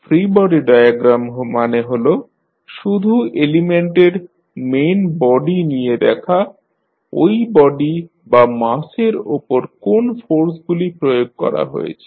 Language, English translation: Bengali, Free body diagram means you just take the main body of the element and show the forces applied on that particular body or mass